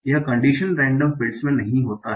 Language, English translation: Hindi, So that we have to think about condition random fields